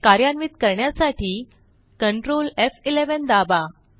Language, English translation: Marathi, Let us run it with Ctrl, F11